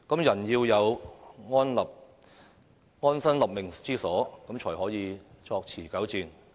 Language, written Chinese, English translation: Cantonese, 人要有安身立命之所才可以作持久戰。, Man can only fight a prolonged war when he has a place to settle down and live in peace